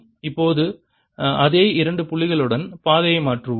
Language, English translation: Tamil, now let's change the path with the same two points